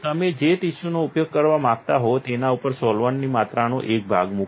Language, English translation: Gujarati, Put a piece of amount of solvent on the tissue that you want to use